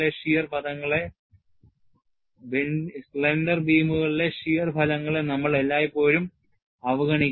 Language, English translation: Malayalam, We will always neglect any shear effects in slender beams